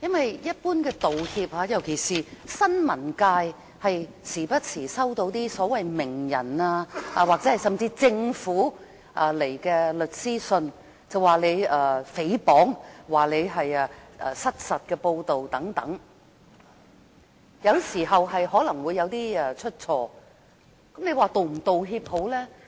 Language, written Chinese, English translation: Cantonese, 就一般的道歉，尤其是新聞界經常都會收到所謂名人或政府發出的律師信，控告你誹謗或失實報道等，有時可能會出錯，那這時你應否道歉呢？, In particular should the media which always receive lawyers letters apologize in response to such letters issued from so - called celebrities or the Government after they threaten to take legal action for defamation or inaccurate reports . You know the media do sometimes make mistakes . In that case should an apology be made?